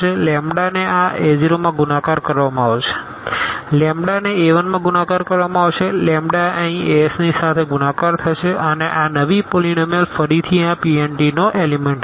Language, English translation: Gujarati, The lambda will be multiplied to this a 0, lambda will be multiplied to a 1, the lambda will be multiplied to this to this a s here and this new polynomial will be again an element of this P n t